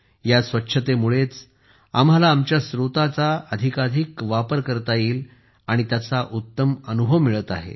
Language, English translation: Marathi, Due to this cleanliness in itself, we are getting the best experience of optimum utilizations of our resources